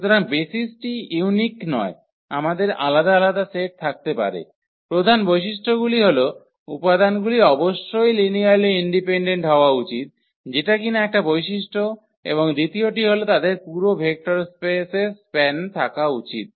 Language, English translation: Bengali, So, basis are not unique we can have a different sets, the main properties are the elements must be linearly independent that is one property and the second one should be that they should span the whole vector space